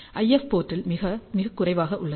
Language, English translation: Tamil, At the IF port is very very low